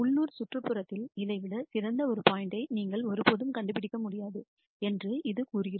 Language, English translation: Tamil, This says that in a local vicinity you can never nd a point which is better than this